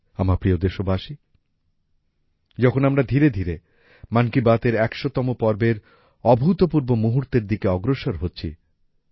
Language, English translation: Bengali, My dear countrymen, now we are slowly moving towards the unprecedented milestone of the 100th episode of 'Mann Ki Baat'